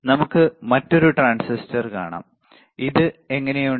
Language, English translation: Malayalam, Let us see the another transistor, then how about this